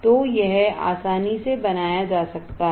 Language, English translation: Hindi, So, this can be drawn easily